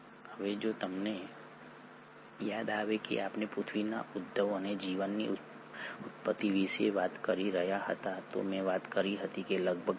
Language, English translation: Gujarati, Now if you remember we were talking about the origin of the earth and the origin of life I had talked about that the life originated somewhere around here about 3